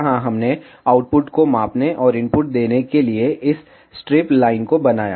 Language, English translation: Hindi, Here we made this strip line to measure output and give input